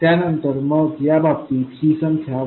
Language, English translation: Marathi, So then in this case this number will be 1